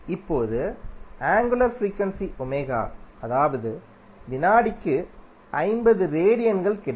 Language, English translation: Tamil, Now angular frequency that is omega you will get equal to 50 radiance per second